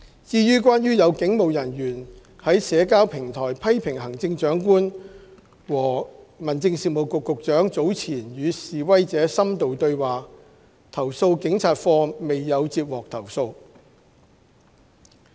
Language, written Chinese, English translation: Cantonese, 至於關於有警務人員在社交平台批評行政長官和民政事務局局長早前與示威者深度對話，投訴警察課未有接獲投訴。, As regards a police officer criticizing the Chief Executive and the Secretary for Home Affairs for having had an in - depth dialogue with demonstrators earlier on CAPO has not received any complaint